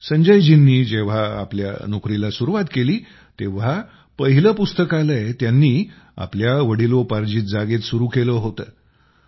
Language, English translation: Marathi, When Sanjay ji had started working, he had got the first library built at his native place